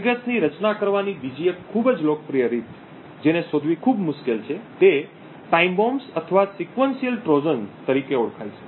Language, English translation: Gujarati, triggers which is even more difficult to detect is something known as time bombs or sequential Trojans